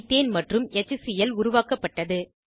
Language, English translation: Tamil, Ethane and HCl are formed